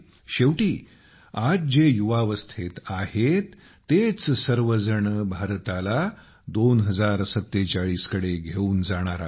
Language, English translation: Marathi, After all, it's the youth of today, who will take are today will take India till 2047